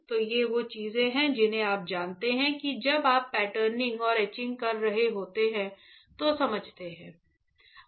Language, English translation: Hindi, So, these are the things that you know understand when you are patterning and etching